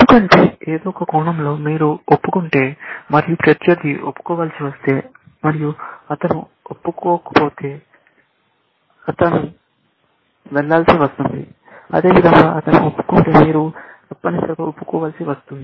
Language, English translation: Telugu, Because in some sense, if you confess, and the opponent is forced to confess, if he does not confess, he will go off, likewise, if he confesses, then you are forced to confess, essentially